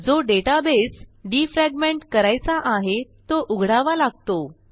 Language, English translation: Marathi, For this, we will open the database that needs to be defragmented